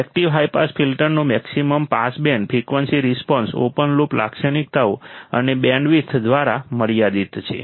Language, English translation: Gujarati, The maximum pass band frequency response of the active high pass filter is limited by open loop characteristics and bandwidth